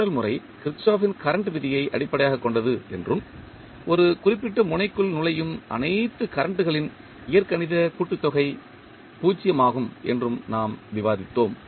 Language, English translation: Tamil, We discussed that the nodal method that is basically based on Kirchhoff’s current law and says that the algebraic sum of all currents entering a particular node is zero